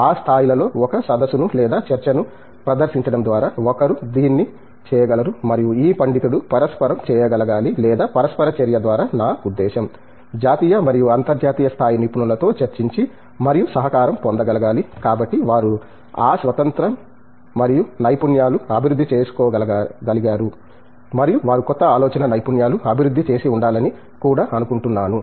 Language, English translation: Telugu, One can do it by presenting a seminar or talk in a conference at these levels and also this scholar must be able to interact or by interaction I mean, discussion and collaboration with national and international level experts, so whether they have developed that independence and expertise over the years